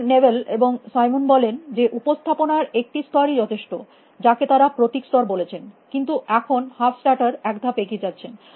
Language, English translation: Bengali, So, Newell and Simon said that one level of representation which he calls as the symbol level is enough, but now Hofstadter is going one step further